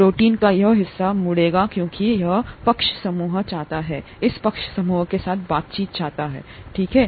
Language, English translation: Hindi, The this, this part of the protein would be bent because this side group wants to interact with this side group, okay